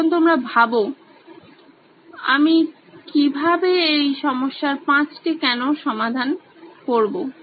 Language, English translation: Bengali, So now you will have to think about how do I do the 5 whys on this particular problem